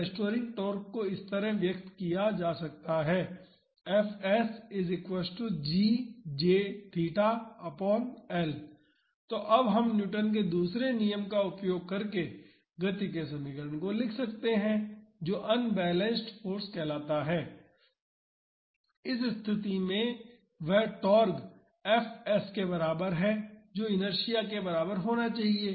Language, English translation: Hindi, So, now we can write the equation of motion using Newton’s second law which says unbalanced force, in this case that is equal to the torque minus fs that should be equal to the inertia